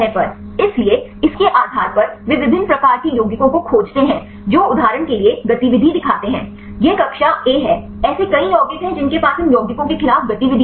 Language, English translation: Hindi, So, based on that they find different types of compounds which showed the activity for example, it is the class A; there are several compounds which have the activity against these compounds